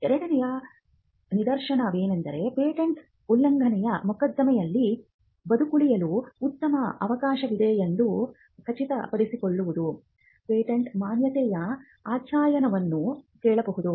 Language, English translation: Kannada, Now the second instance could be where the patentee could ask for a validity study to ensure that he has a good chance of surviving on patent infringement suit; where invalidity has been questioned